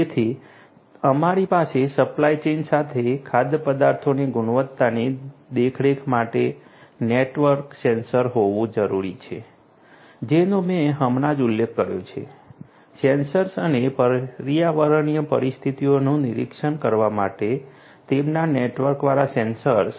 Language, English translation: Gujarati, So, we need to have network sensors for food quality monitoring along the supply chain that I have just mentioned, sensors and their networked sensors for monitoring the environmental conditions